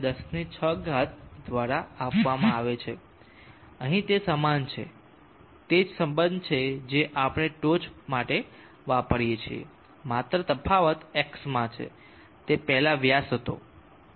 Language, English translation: Gujarati, 38x106 here it is the same thus it is the same relationship that we use for the top the only difference is in X it was the diameter before it was 0